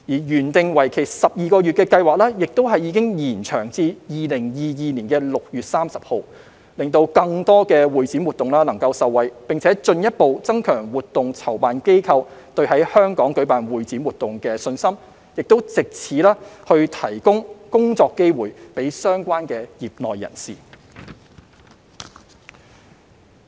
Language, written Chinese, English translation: Cantonese, 原訂為期12個月的計劃已延長至2022年6月30日，讓更多會展活動受惠，並進一步增強活動籌辦機構對在香港舉辦會展活動的信心，以及藉此提供工作機會給相關業內人士。, The scheme which was intended to last for 12 months has been extended to 30 June 2022 to benefit more convention and exhibition activities and to further boost the confidence of event organizers in organizing convention and exhibition activities in Hong Kong and provide job opportunities for members of the industry